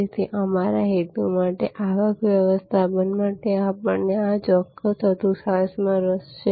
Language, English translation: Gujarati, So, for our purpose, for the revenue management we are interested in this particular quadrant